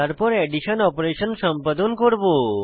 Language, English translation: Bengali, This will perform the addition operation